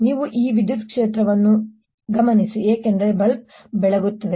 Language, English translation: Kannada, you observe this electric field because the bulb lights up